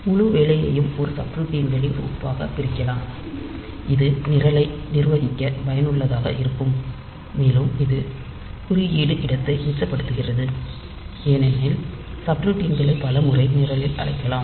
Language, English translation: Tamil, So, we can divide the whole job into a set of subroutines and that is useful for making the program manageable, and it saves code space because subroutines may be called several times in the say in the program for doing up